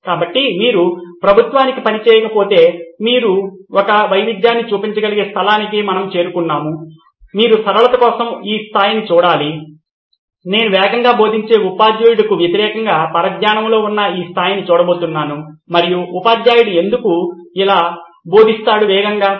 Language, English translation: Telugu, So we have reached the place where unless you work for the government and you can make a difference you should probably look at this level for simplicity sake I am going to look at this level which is distracted versus fast teacher and why does the teacher teach very fast